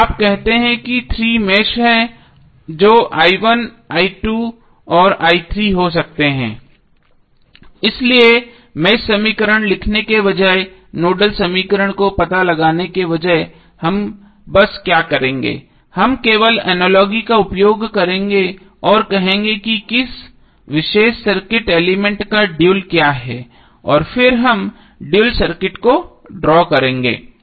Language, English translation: Hindi, So you say that there are 3 meshes that is i1 may be i2 and i3, so rather then writing the mesh equation and correspondingly finding out the nodal equation what we will simply do we will simply use the analogy, we will say what is the dual of which particular circuit element and then we will draw the dual circuit